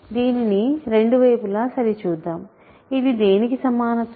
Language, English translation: Telugu, So, let us check both of these sides, this is an equality of what